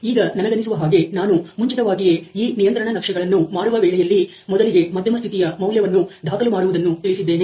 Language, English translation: Kannada, So, I think I had made clear earlier that the way to plot these control charts is to sort of first of all record the mean value